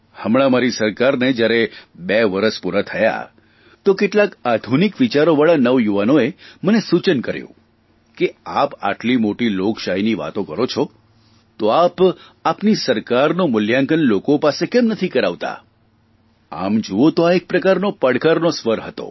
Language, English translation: Gujarati, Recently, when my government completed two years of functioning, some young people of modern thinking suggested, "When you talk such big things about democracy, then why don't you get your government rated by the people also